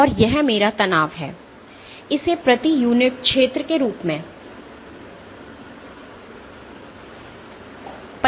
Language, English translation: Hindi, And this is my stress, this is defined as force per unit area